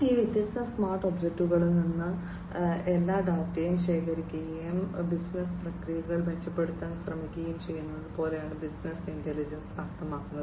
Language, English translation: Malayalam, Business intelligence means like you know collecting all the data from these different smart objects, and trying to improve upon the business processes